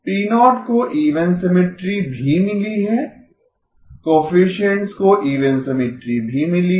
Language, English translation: Hindi, P0 has got even symmetry, the coefficients have got even symmetry